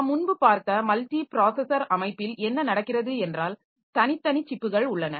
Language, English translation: Tamil, So, what happens is that in the multiprocessor system that we have looked into previously, so we have got separate separate chips